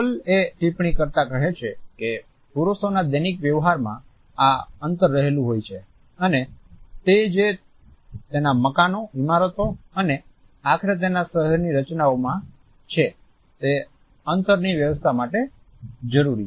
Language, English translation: Gujarati, Hall has very rightly commented that this is the distance between men in conduct of their daily transactions and further he says that it is also the organizations of space in his houses, buildings and ultimately the layout of his town